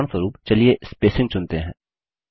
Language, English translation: Hindi, For example, let us choose spacing